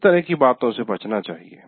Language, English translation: Hindi, So that should be avoided